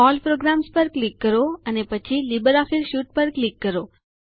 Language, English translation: Gujarati, Click on All Programs, and then click on LibreOffice Suite